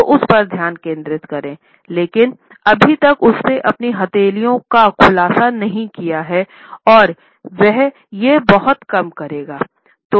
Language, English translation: Hindi, So, focus on that, but not he has not yet revealed his palms and he will do very little of that